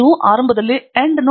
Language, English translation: Kannada, You initially login to endnote